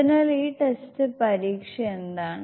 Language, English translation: Malayalam, So this is the entire test result